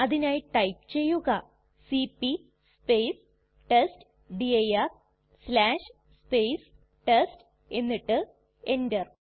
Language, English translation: Malayalam, For that we would type cp testdir/ test and press enter